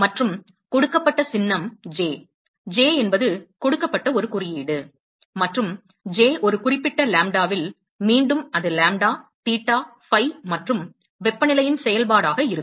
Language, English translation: Tamil, And the symbol that is given is, J, J is a symbol that is given, and J at a specific lambda, again it going to be a function of, lambda, theta, phi, and temperature